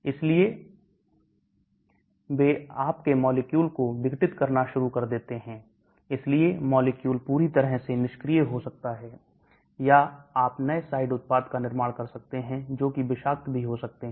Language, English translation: Hindi, so they start degrading your molecule, so the molecule can become totally inactive or you may be forming new side products which may be toxic also